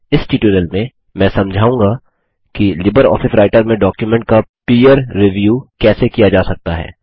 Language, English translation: Hindi, In this tutorial I will explain how peer review of documents can be done with LibreOffice Writer